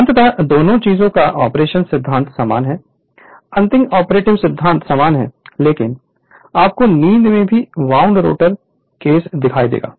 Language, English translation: Hindi, So, ultimately operating principle of both the things are same, final operating principle is same, but wound rotor case we will see through sleeping